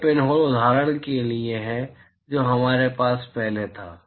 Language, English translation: Hindi, It is very similar to the pinhole example that we had before